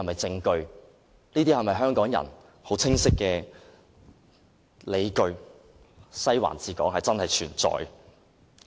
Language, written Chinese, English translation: Cantonese, 這些都是香港人清晰的理據，"西環治港"確實存在。, All these are clear justifications to support the existence of Western District ruling Hong Kong